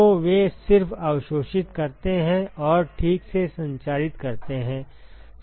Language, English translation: Hindi, So, they just emit absorb and transmit ok